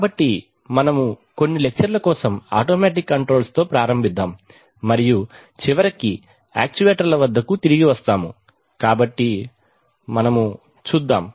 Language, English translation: Telugu, So, we'll start with automatic controls and go on for that with that for a few lectures and then eventually come back to actuators, so here we go